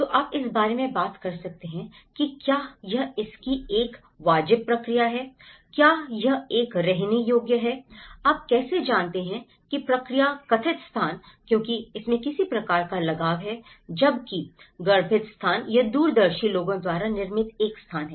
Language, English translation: Hindi, So, you can talk about whether it is a vernacular process of it, whether it is a habitable process of how you know, perceived space because there is some kind of attachment to it whereas, the conceived space, it a space produced by the visionaries